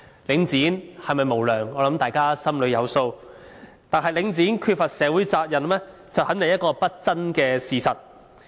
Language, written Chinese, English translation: Cantonese, 領展是否無良，我想大家心中有數，但領展缺乏社會責任，肯定是一個不爭的事實。, I think we all know well if Link REIT is unscrupulous or not . Yet Link REITs neglect of social responsibility is definitely an undisputed fact